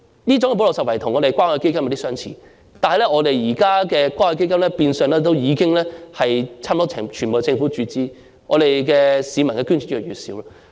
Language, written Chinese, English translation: Cantonese, 這種補漏拾遺的做法與關愛基金的作用有點相似，但現時關愛基金變相已經全由政府注資，市民的捐助越來越少。, This gap - filling approach is similar to the function of the Community Care Fund though the Fund is now virtually funded fully by the Government with less and less donations from members of the public